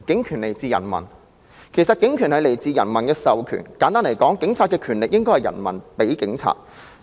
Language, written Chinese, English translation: Cantonese, 其實警權來自人民的授權，簡單來說，警察的權力是人民所賦予的。, In fact it comes from authorization by the people . In simple terms the Police is empowered by the people